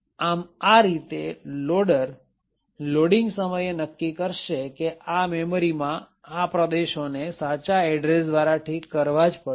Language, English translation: Gujarati, So, in this way the loader would determine at the time of loading that these regions in memory have to be fixed with the correct address